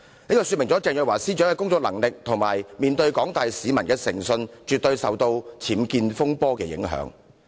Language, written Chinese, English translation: Cantonese, 就是鄭若驊司長的工作能力及面對廣大市民的誠信，絕對受到了僭建風波的影響。, It indicates that Ms CHENGs competence and credibility in the eyes of the general public have certainly been adversely affected by the unauthorized building works UBWs fiasco